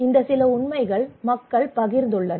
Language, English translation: Tamil, So these some of the facts people have shared